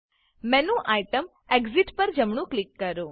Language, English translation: Gujarati, Right click the menu item Exit